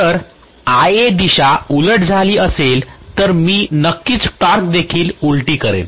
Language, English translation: Marathi, If Ia direction has reversed, I am definitely going to have the torque also reversed